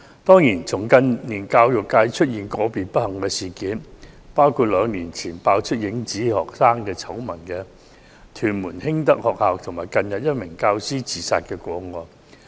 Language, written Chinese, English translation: Cantonese, 當然，近年教育界曾發生一些不幸事件，包括兩年前被揭"影子學生"醜聞的屯門興德學校，以及近日一名教師自殺的個案。, It is true that there have been some unfortunate incidents in the education sector in recent years including the shadow student scandal of Hing Tak School in Tuen Mun exposed two years ago and the case of a teacher who recently committed suicide